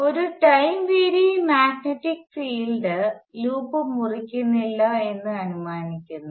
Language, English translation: Malayalam, This assumes that there is no significant time varying magnetic field cutting the loop